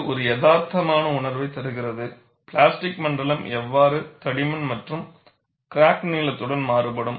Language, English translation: Tamil, And this gives a realistic feeling, how the plastic zone varies over the thickness, as well as along the crack length